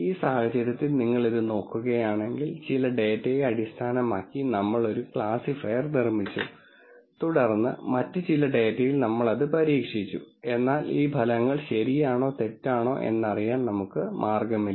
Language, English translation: Malayalam, In this case if you look at it, we built a classifier based on some data and then we tested it on some other data, but we have no way of knowing whether these results are right or wrong